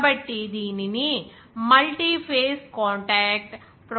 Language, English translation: Telugu, So, it is called a multiphase contact process